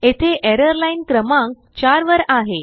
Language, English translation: Marathi, Here the error is in line number 4